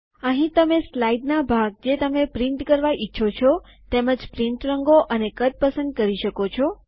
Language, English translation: Gujarati, Here you can choose the parts of the slide that you want to print, the print colours and the size